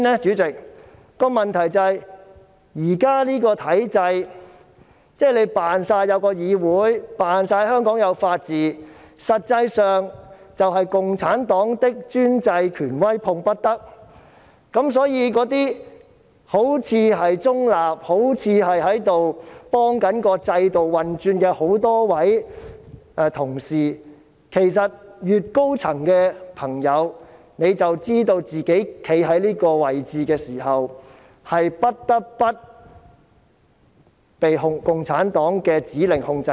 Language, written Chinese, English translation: Cantonese, 我認為問題是，現時的體制是假裝有議會、假裝有法治，但實際上是"共產黨的專制權威碰不得"，所以，那些好像中立、好像在協助制度運轉的同事，其實越高層便越了解到，站在這個位置，是不得不被共產黨的指令所控制。, In my opinion the problem is that the existing system pretends there is a legislature and there is the rule of law but in reality the dictatorial authority of the Communist Party of China CPC is untouchable . Hence for those colleagues who look neutral and seem to assist in the operation of the system the higher - ranking they are the more they will understand that in such a position they cannot but be controlled by the orders of CPC